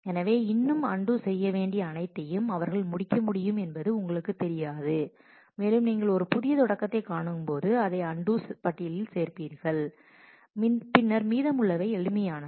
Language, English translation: Tamil, So, you do not know that they could finish all that still need to be undone and when you come across a new start, you add that to the undo list and then the rest of it is simple